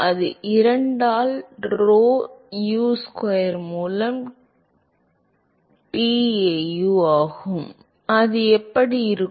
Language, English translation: Tamil, It is tau by rho Usquare by 2 and that will be